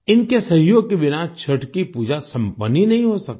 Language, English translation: Hindi, Without their cooperation, the worship of Chhath, simply cannot be completed